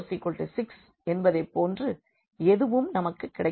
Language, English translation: Tamil, So, 0 is equal to 0, there is no problem